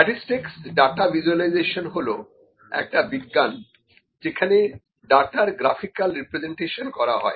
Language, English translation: Bengali, Data visualization is the science in statistics in which the graphical representation of data is done